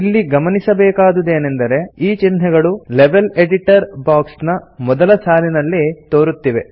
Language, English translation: Kannada, Notice, that these characters are displayed in the first line of the Level Editor box